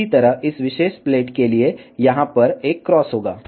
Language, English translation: Hindi, Similarly, for this particular plate, there will be a cross over here